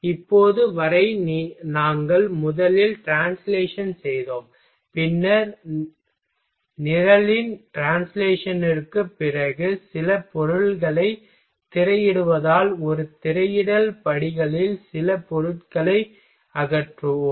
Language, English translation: Tamil, Now till now what we did first we did translation, then after translation of program we just screening out some material eliminate eliminated some material in a screening steps